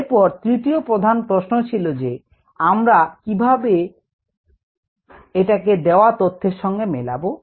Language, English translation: Bengali, then the third main question: how to connect what is needed to what is given